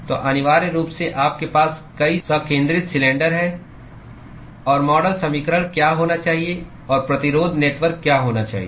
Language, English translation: Hindi, So, essentially you have many concentric cylinders; and what should be the model equation and what should be the resistance network